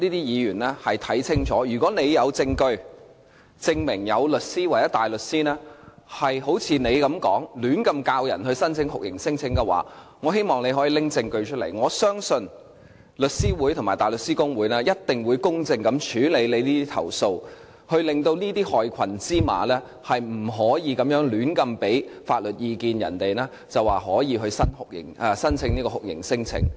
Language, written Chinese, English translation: Cantonese, 如果議員有證據證明，有律師或大律師胡亂教導難民申請酷刑聲請的話，我希望她可以拿出證據，我相信律師會及大律師公會一定會公正處理投訴，令這些害群之馬不能夠胡亂為人們提供法律意見，說可以申請酷刑聲請。, If Member has any evidence to support that there are lawyers or barristers who blindly teach refugees to lodge torture claims I hope that she can produce such evidence . I believe the Law Society and the Bar Society will handle such complaints fairly so as to prevent black sheep in the legal sector from providing unprofessional legal advice such as saying that they can lodge torture claims to clients